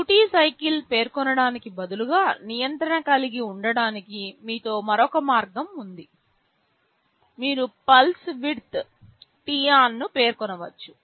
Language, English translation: Telugu, Instead of specifying the duty cycle there is another way of having the control with yourself; you can specify the pulse width t on